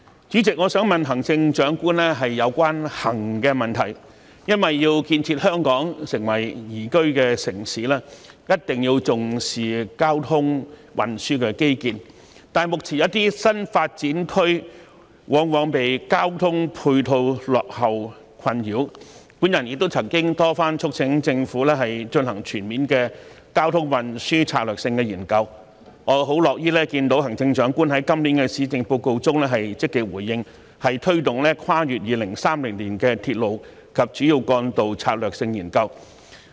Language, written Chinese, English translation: Cantonese, 主席，我想問行政長官有關"行"的問題，因為要建設香港成為宜居的城市，一定要重視交通運輸的基建，但目前一些新發展區往往因交通配套落後而備受困擾，我亦曾多番促請政府進行全面的交通運輸策略性研究，我樂於看到行政長官在今年的施政報告中積極回應，推動《跨越2030年的鐵路及主要幹道策略性研究》。, President I would like to ask the Chief Executive a question about transport . It is because in order to develop Hong Kong into a liveable city we must attach importance to transport infrastructure but at present some new development areas are often troubled by backward ancillary transport facilities . I have time and again urged the Government to conduct a comprehensive strategic transport study and I am glad that in this years Policy Address the Chief Executive has responded positively by taking forward the Strategic Studies on Railways and Major Roads beyond 2030